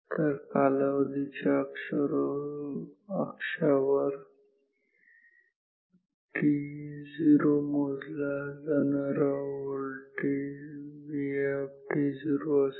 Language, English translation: Marathi, So, time axis so, at t 0 the voltage was measured to be V i t naught